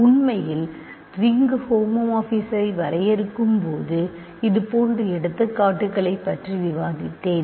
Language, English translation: Tamil, In fact, I think I discussed such examples when I defined ring homomorphisms